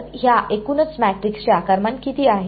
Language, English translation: Marathi, So, what will be the size of these sub matrices